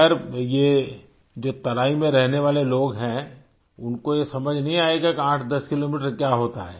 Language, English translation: Hindi, Well, people who stay in the terai plains would not be able to understand what 810 kilometres mean